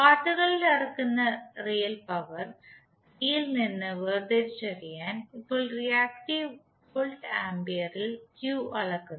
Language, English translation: Malayalam, Now Q is measured in voltampere reactive just to distinguish it from real power P which is measured in watts